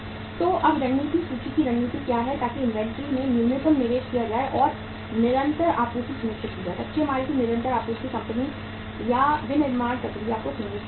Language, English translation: Hindi, So now what is the strategy inventory strategy so that minimum investment is made in the inventory and continuous supply is ensured, continuous supply of the raw material is ensured to the to the company or to the manufacturing process